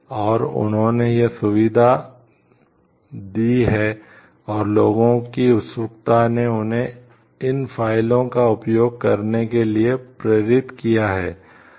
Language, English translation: Hindi, And they have given this facility and made people like the eagerness motivated them to use these files, we use this website